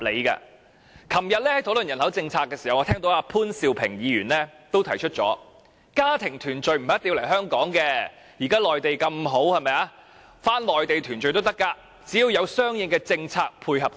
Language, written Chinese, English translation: Cantonese, 昨天，在討論人口政策時，我聽到潘兆平議員也提出，家庭團聚不一定要來香港，現時內地環境這麼好，返回內地團聚亦無不可，只要有相應政策配合。, During the discussion on population policy yesterday I heard Mr POON Siu - ping say that family union did not really need to take place in Hong Kong . Now that the environment in the Mainland is good with appropriate policies family reunion in the Mainland is also acceptable